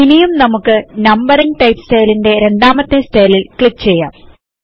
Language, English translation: Malayalam, So let us click on the second style under the Numbering type style